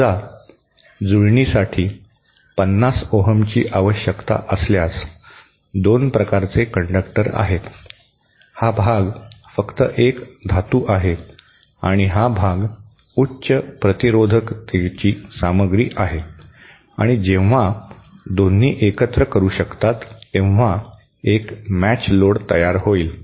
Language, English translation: Marathi, Say, if matching required is 50 ohms, then there are 2 kinds of conductors, this part is just a metal and this part is a material of higher resistivity and when both can combine, there will be a matched load